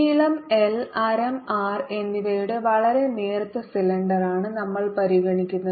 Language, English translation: Malayalam, so we are really considering a very thin cylinder of length, l and radius r